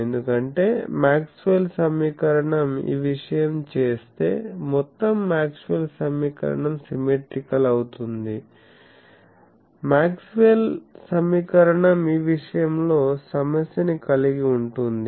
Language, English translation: Telugu, So, that because if we make the, this thing in the Maxwell’s equation, then the whole Maxwell’s equation becomes symmetrical that we will see; that Maxwell’s equation suffer from one thing